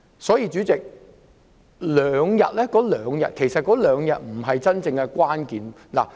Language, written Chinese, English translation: Cantonese, 所以，主席，是否再增加兩天侍產假並不是真正的關鍵。, Hence Chairman the point at issue is not whether an extra two days paternity leave should be provided